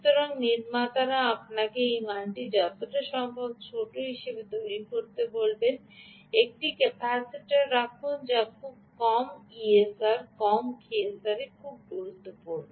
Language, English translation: Bengali, so therefore, manufacturer will tell you: make this value as small as possible, put a capacitor that has a very low e s r, low e s r very important